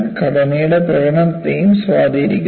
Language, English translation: Malayalam, Also has an influence on the performance of the structure